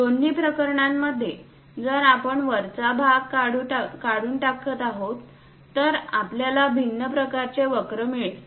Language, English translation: Marathi, In both the cases if we are removing the top part, we will get different kind of curves